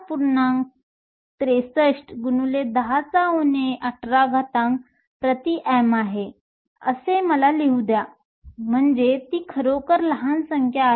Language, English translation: Marathi, 63 times 10 to the minus 18 meter cube, so that is a really small number